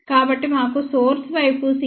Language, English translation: Telugu, So, let us see for the source site c gs is 0